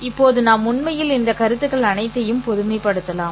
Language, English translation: Tamil, Now we can actually generalize all these concepts